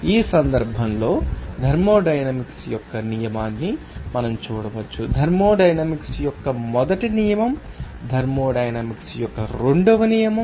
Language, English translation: Telugu, In this case, we can see the law of thermodynamics, first law of thermodynamics second law of thermodynamics like this